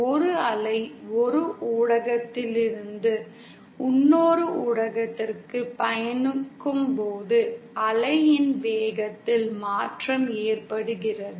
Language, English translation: Tamil, That is when a wave travels from one media to another, there is a change in the velocity of the wave